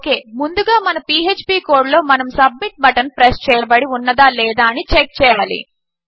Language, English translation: Telugu, Okay so first of all inside our php code we need to check whether the submit button has been pressed